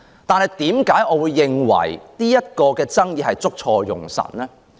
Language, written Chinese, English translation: Cantonese, 但是，為何我認為這項爭議捉錯用神呢？, However why do I think that people have got the wrong end of the stick on this issue?